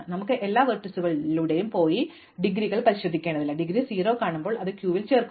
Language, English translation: Malayalam, We do not have to go through all the vertices and check the indegrees, when we see the indegree 0 we put it into the queue